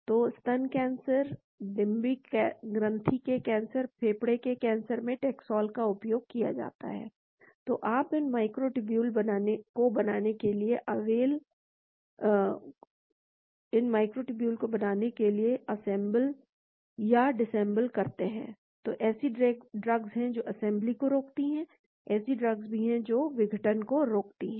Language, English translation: Hindi, So, taxol is used in breast cancer, ovarian cancer, lung cancer , so you assemble, disassemble, to form these microtubules, so there are drugs which prevent the assembly, there are drugs which prevent disassembly also